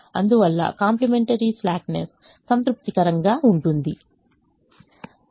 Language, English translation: Telugu, therefore the complimentary slackness is satisfied